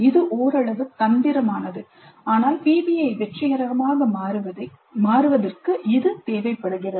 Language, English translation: Tamil, This is somewhat tricky but it is required to ensure that PBI becomes successful